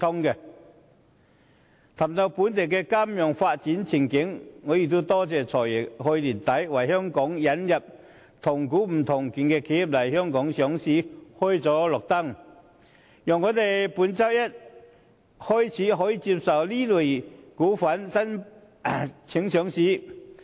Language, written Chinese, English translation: Cantonese, 談到本地金融業的發展前景，我感謝"財爺"去年年底為香港引入"同股不同權"的企業來港上市開了綠燈，讓我們本周一起可接受這類企業的上市申請。, Speaking of the development prospects of the local financial industry I am grateful that at the end of last year the Financial Secretary gave the green light to the listing of enterprises with weighted voting rights in Hong Kong thus enabling us to receive applications for listing by this type of enterprises beginning this Monday